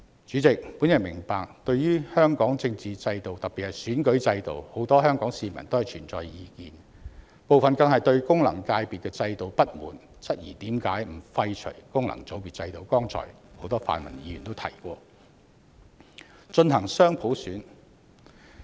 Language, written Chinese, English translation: Cantonese, 主席，我明白對於香港的政治制度，特別是選舉制度，很多香港市民都存在意見，部分更不滿功能界別制度，質疑為何不廢除功能界別制度，進行很多泛民議員剛才提及的雙普選。, President I understand that as far as the political system particularly electoral system of Hong Kong is concerned many Hong Kong people have issues with it . Some are even dissatisfied with the FC system and query why the FC system is not abolished and dual universal suffrage which many pan - democratic Members mentioned just now is not implemented